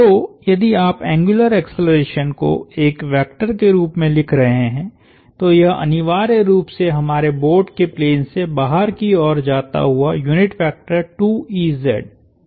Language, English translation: Hindi, So, if you are writing the angular acceleration as a vector it would essentially say that it was 2 ez, ez being the unit vector pointing out of the plane of our board